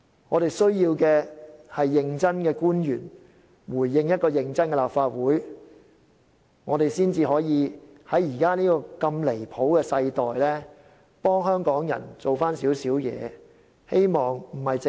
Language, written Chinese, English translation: Cantonese, 我們需要認真的官員回應一個認真的立法會，這樣才可以在現時如此離譜的世代，為香港人做少許事情。, We need conscientious officials to give replies to a conscientious Council . Only by doing so can they do something for Hong Kong people in the present era overwhelmed by absurdity